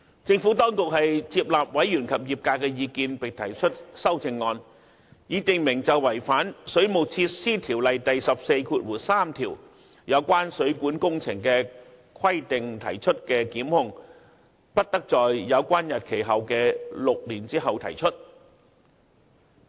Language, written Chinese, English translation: Cantonese, 政府當局接納委員及業界的意見，並提出修正案，以訂明就違反《水務設施條例》第143條有關水管工程的規定而提出的檢控，不得在有關日期後的6年後提出。, Having accepted the views of members and the trade the Administration has proposed a CSA stipulating that no prosecution may be brought after six years from the date on which the violation of the requirements under section 143 of WWO is committed